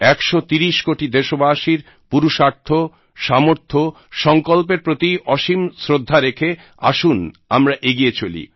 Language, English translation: Bengali, Let's show immense faith in the pursuits actions, the abilities and the resolve of 130 crore countrymen, and come let's move forth